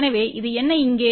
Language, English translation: Tamil, So, what is this here